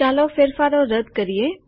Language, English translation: Gujarati, Let us undo the changes